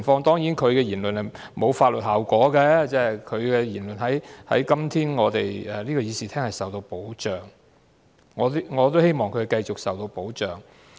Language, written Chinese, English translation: Cantonese, 當然，他的言論沒有法律後果，因為今天議員的言論在這個議事廳內是受到保障的——我也希望他的言論會繼續受到保障。, Of course what he said will not entail any legal consequences because today Members speeches in this Chamber are under protection . I also hope that his speeches will continue to enjoy protection . However being Members while we enjoy protection we are accountable to the people of Hong Kong